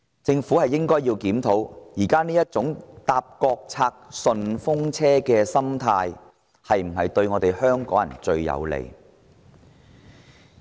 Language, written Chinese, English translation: Cantonese, 政府檢討現時這種"坐國策順風車"的心態，不是對香港人最有利嗎？, Is it not in the best interest of Hong Kong people for the Government to review this mentality of taking a free ride on national policies?